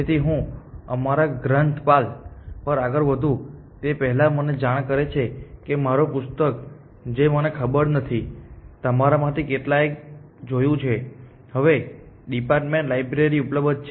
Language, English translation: Gujarati, So, before I move on our librarian informs me that, my book which I do not know how many of you have seen is now available in the department library